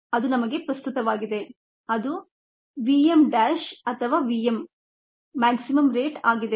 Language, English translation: Kannada, that is how relevance to us it's the v m dash or the v m, the maximum rate